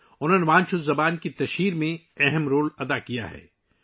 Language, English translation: Urdu, He has made an important contribution in the spread of Wancho language